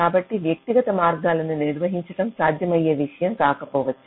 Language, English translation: Telugu, so handling individual paths may not be a feasible thing